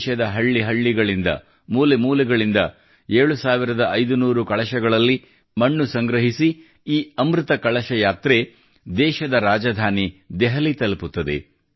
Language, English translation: Kannada, This 'Amrit Kalash Yatra' carrying soil in 7500 urns from every corner of the country will reach Delhi, the capital of the country